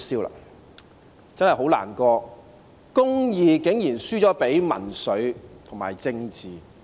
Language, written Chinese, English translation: Cantonese, 我真的很難過，公義竟然輸了給民粹和政治。, I really feel sad that justice is defeated by populism and politics